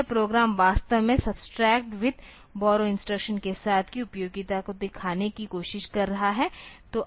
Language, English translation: Hindi, So, this program is actually trying to show the utility of this subtract with borrow type of instruction